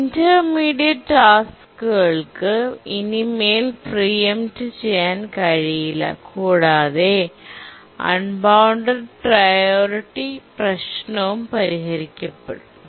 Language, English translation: Malayalam, The intermediate priority tasks can no longer preempt it and the unbounded priority problem is solved